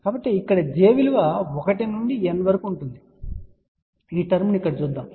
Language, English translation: Telugu, So, where j can be from 1 to n let just look at this term here